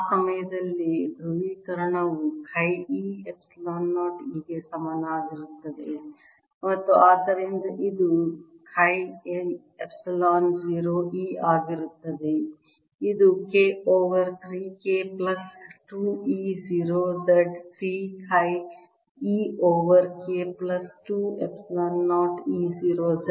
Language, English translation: Kannada, polarization will be equal to chi e epsilon zero e at that point and therefore this is going to be chi e epsilon zero e, which is three over k plus two e zero, z